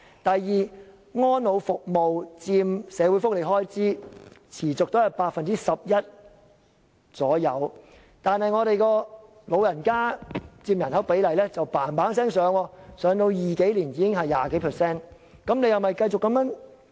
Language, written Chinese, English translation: Cantonese, 第二，安老服務持續佔社會福利開支約 11%， 但本港長者佔人口的比例卻急速上升，到2020年後，便佔人口 20% 以上。, Second the expenditure on services for the elderly remains largely stable at about 11 % of the recurrent social welfare expenditure but the ratio of the elderly population in Hong Kong is rising rapidly . By 2020 the elderly will take up over 20 % of the entire population